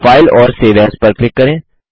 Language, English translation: Hindi, Click on File and Save As